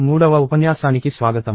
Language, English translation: Telugu, Welcome to lecture three